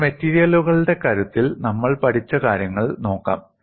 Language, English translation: Malayalam, Now, let us look at what we have learnt in strength of materials